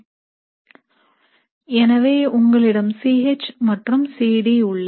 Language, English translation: Tamil, So you have your C H and C D